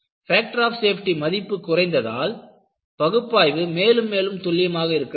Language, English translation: Tamil, When you bring down the factor of safety, your analysis has to be more and more precise